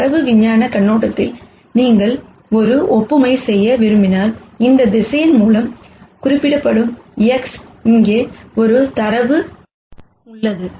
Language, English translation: Tamil, So, from the data science viewpoint if you want to make an analogy, what we are saying here is that, I have a data here X which is represented by this vector